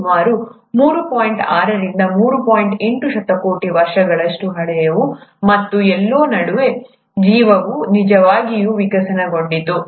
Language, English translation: Kannada, 8 billion years old, and somewhere in between the life really evolved